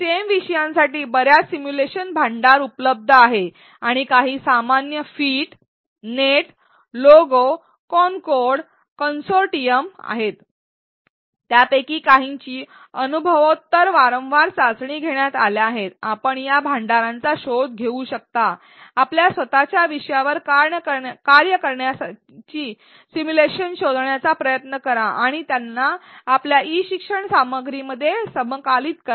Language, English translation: Marathi, There are several simulation repositories available for stem topics and some of the common one some which have also been tested empirically repeatedly are phet, net logo concord consortium and you can you can explore these repositories, try to find simulations that work in your own topic and integrate them within your e learning content